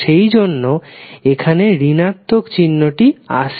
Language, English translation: Bengali, That is why the negative sign is coming in this expression